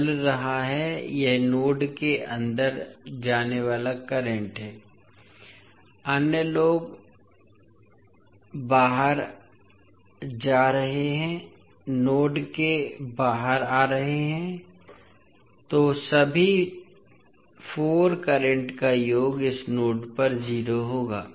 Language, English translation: Hindi, So this is going, this is the current going inside the node, others are going outside, coming outside of the node so the summation of all 4 currents will be 0 at this node